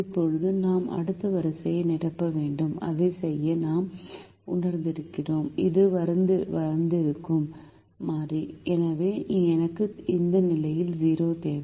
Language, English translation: Tamil, now we have to fill the next row and to do that we realize this is the variable that has come in